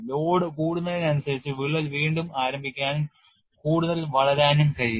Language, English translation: Malayalam, Then as the load is increased, that crack can again reinitiate and grow further